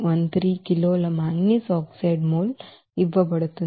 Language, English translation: Telugu, 0413 kg moles of manganese oxide is required